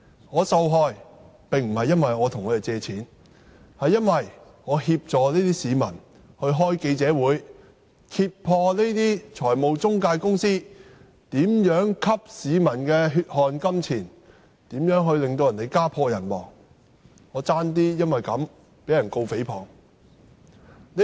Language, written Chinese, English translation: Cantonese, 我受害並非因為我向他們借貸，而是因為我協助那些市民召開記者招待會，揭破這些財務中介公司如何吸市民的血汗錢，如何令他們家破人亡，以致我差點被控誹謗。, I had nearly suffered not because I borrowed money from them but that I assisted some members of the public in hosting press conferences to expose how these financial intermediaries had siphoned the public off the money the latter had sweated blood to earn and ruined the victims families and caused deaths which had almost rendered me charged for slander